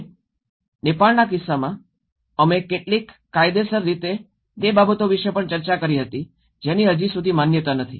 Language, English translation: Gujarati, And in the case of Nepal, we also discussed about how legally that is certain things which have not been acknowledged so far